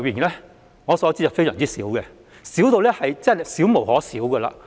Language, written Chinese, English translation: Cantonese, 以我所知，是相當少的，根本少無可少。, As far as I know the number is very small and it cannot possibly get any smaller